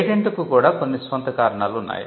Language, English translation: Telugu, Patenting has it is own reasons too